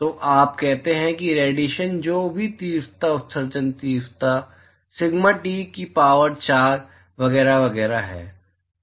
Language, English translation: Hindi, So, you say that radiation, whatever the intensity, emission intensity, is sigma T to the power of 4, etcetera etcetera